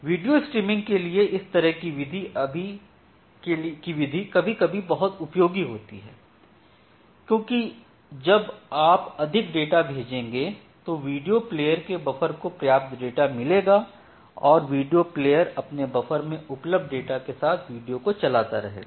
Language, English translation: Hindi, So, for say kind of buffered video streaming, this kind of architecture is sometimes very useful because you will send more data to the play buffer, if you send more data to the play buffer it will get sufficient data and a video player can render further data with the available data in the buffer